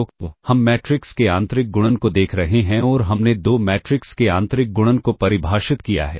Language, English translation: Hindi, So, you are looking at the inner product of matrices and we have defined the inner product of two matrices